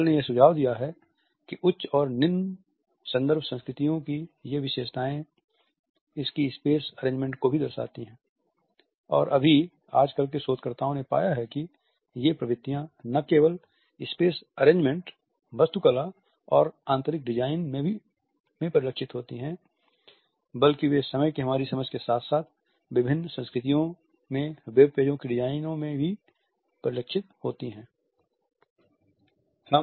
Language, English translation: Hindi, Hall has also suggested that these characteristics of high and low context cultures are also reflected it is space arrangements and nowadays very recent researchers have found that these tendencies are reflected not only in space arrangements, architecture and interior designing; they are also reflected in the designing of the web pages in different cultures as well as in our understanding of time